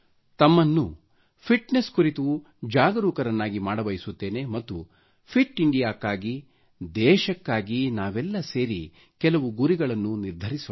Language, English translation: Kannada, I want to make you aware about fitness and for a fit India, we should unite to set some goals for the country